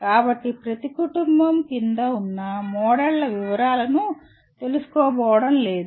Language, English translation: Telugu, So we are not going to get into the details of the models under each family